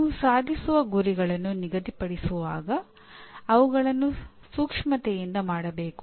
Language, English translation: Kannada, Now when you set the attainment targets, they should be done with consideration